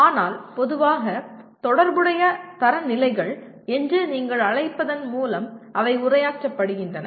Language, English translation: Tamil, But normally they do get addressed through what you call relevant standards